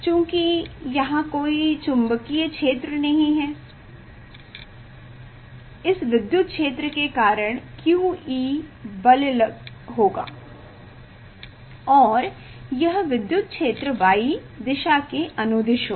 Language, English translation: Hindi, due to this electric field q E will be the force and this electric field this direction is along the y direction